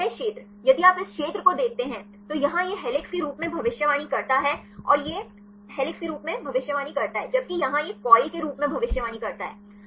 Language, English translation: Hindi, And this region if you see this region; so, here this predicts as helix and this predict as helix, where as this predicts as coil